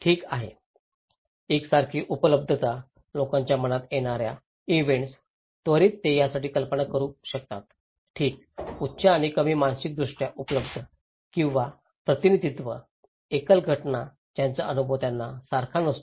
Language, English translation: Marathi, Okay, alike availability, events that come to people’s mind immediately they can imagine it okay, high and less mentally available or representativeness, singular events that they experience not exactly the same